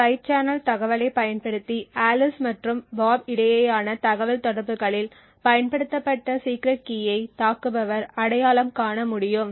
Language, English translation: Tamil, Using the side channel information the attacker would be able to identify the secret key that was used in the communication between Alice and Bob